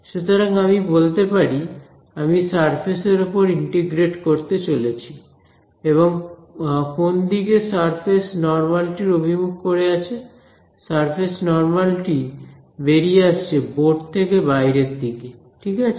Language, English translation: Bengali, So, I can say, I am going to integrate over the surface and what way is the surface normal pointing the surface normal is coming out of the board ok